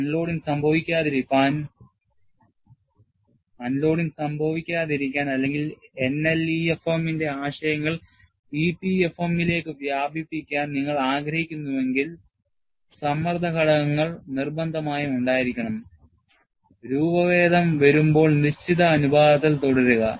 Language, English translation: Malayalam, And, for unloading not to occur, or if you want to extend the concepts of NLEFM to EPFM, the stress components must remain in fixed proportion, as the deformation proceeds